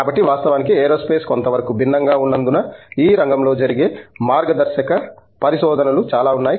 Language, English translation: Telugu, So in fact, because aerospace is somewhat exotic, so there is a lot of pioneering research that happens in this field